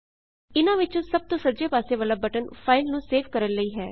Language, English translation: Punjabi, The right most among them is for saving the file